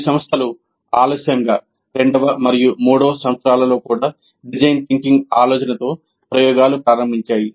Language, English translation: Telugu, And some institutes off late have started experimenting with the idea of design thinking in second and third years also